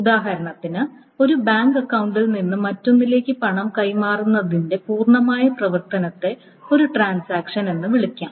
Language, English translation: Malayalam, So the complete operation of, for example, the complete operation of moving money from transferring money from one bank account to the other is the, can be called a transaction